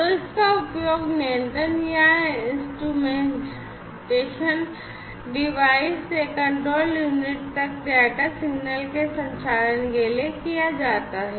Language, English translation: Hindi, So, it is used for transmission of data signal from the control or instrumentation devices to the control unit